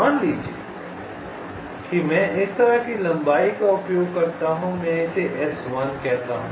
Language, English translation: Hindi, let say i use a trail length like this: i call it s one